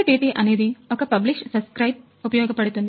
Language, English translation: Telugu, So, MQTT is based on publish subscribe models